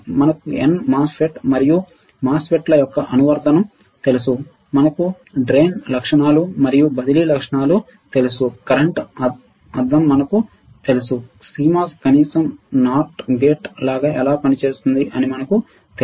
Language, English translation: Telugu, We know and n MOSFET we knows the application of MOSFETs right, it is drain characteristics we know the transfer characteristics, we know the current mirror, we know how CMOS works at least as a not gate right